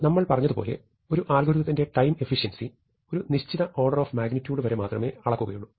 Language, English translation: Malayalam, So, we have said that we will measure the time efficiency of algorithms only upto an order of magnitude